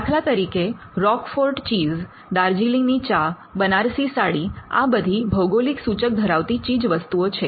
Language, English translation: Gujarati, For instance, Roquefort cheese, Darjeeling tea, Banaras saree are different examples of the GI